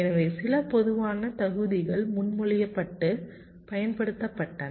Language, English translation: Tamil, so some typical figure of merits were ah proposed and used